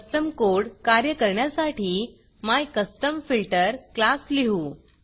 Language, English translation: Marathi, To make the custom code work, we will write the MyCustomFilter class